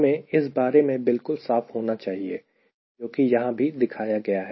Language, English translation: Hindi, that we should be very, very clear, given it was shown here as well